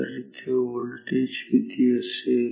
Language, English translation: Marathi, So, what is the voltage here